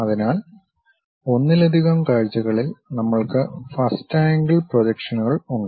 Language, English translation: Malayalam, So, in multi views, we have first angle projections